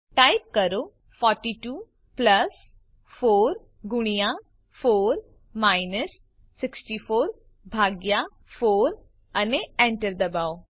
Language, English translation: Gujarati, Type 42 plus 4 multiplied by 4 minus 64 divided 4 and press enter